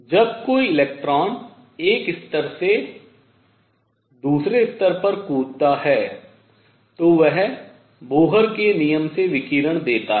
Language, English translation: Hindi, When an electron makes a jump from one level to the other it gives out radiation by Bohr’s rule